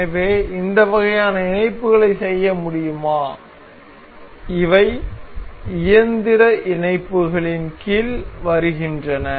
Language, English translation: Tamil, So, could do this kind of mates these are these come under mechanical mates